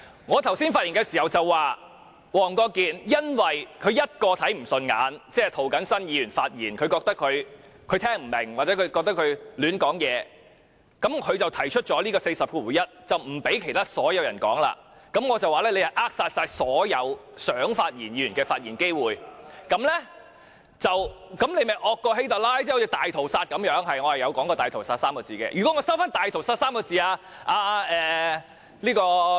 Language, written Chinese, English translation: Cantonese, 我剛才發言時說，黃國健議員因為看不順眼一個人，即涂謹申議員的發言，他聽不明白或覺得他胡說八道，於是引用《議事規則》第401條，不讓其他所有人發言，我便說他是扼殺了所有想發言議員的發言機會，這樣他便較希特拉更兇惡，好像大屠殺一樣，是的，我有說過"大屠殺 "3 個字。, As I said earlier it is only because of Mr WONG Kwok - kins dislike of the speech of one Member ie . Mr James TO claiming that he could not understand what Mr James TO was saying or he felt that Mr James TO was talking nonsense that he invoked RoP 401 so that all other Members are denied of the chances to speak . I then said that he was stifling all the speaking opportunities of those Members who wanted to speak and he was more atrocious than HITLER who started the Holocaust